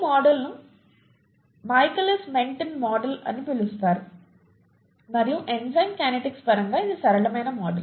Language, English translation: Telugu, This model is called the Michaelis Menten model and it’s the simplest model in terms of enzyme kinetics